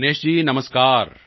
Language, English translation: Punjabi, Dinesh ji, Namaskar